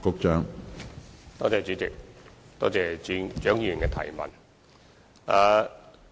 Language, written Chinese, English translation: Cantonese, 主席，多謝蔣議員的質詢。, President I thank Dr CHIANG for her question